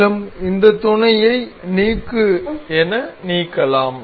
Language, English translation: Tamil, Also we can delete this mate as delete